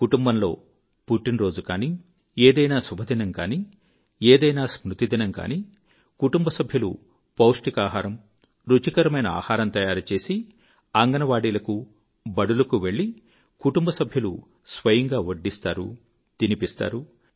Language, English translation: Telugu, If the family celebrates a birthday, certain auspicious day or observe an in memoriam day, then the family members with selfprepared nutritious and delicious food, go to the Anganwadis and also to the schools and these family members themselves serve the children and feed them